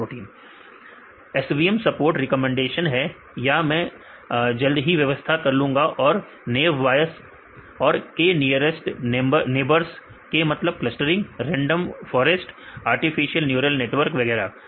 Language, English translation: Hindi, SVM a support recommendations right this I will explain soon, and Naïve Bayes and k nearest neighbours, k means clustering, random forest right, artificial neural networks and so on